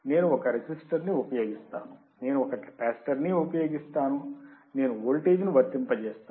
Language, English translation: Telugu, I use one register, I will use one capacitor, I apply a voltage